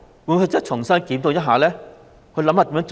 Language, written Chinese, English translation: Cantonese, 會否重新檢討一下，想出更好的做法？, Will he review it afresh and think up a better approach?